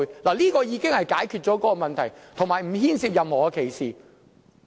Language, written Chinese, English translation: Cantonese, 這項定義已經解決了相關問題，亦不牽涉任何歧視。, This definition has provided a solution to the relevant problems and it does not involve any discrimination